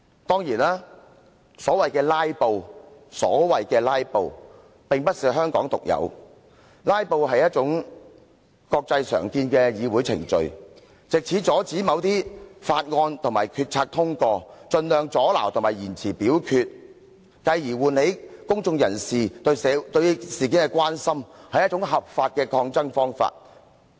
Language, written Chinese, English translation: Cantonese, 當然，所謂的"拉布"並非香港獨有，"拉布"是一種國際常見的議會程序，藉以阻止某些法案和決策通過，透過盡量阻撓和延遲表決，繼而喚起公眾人士對事件的關心，是一種合法的抗爭方法。, It is a parliamentary proceeding commonly seen internationally . The objective is to block the passage of certain bills or policies by obstructing and delaying the taking of a vote by all means and hence arousing public concern over the issues in question . It is a lawful means to put up resistance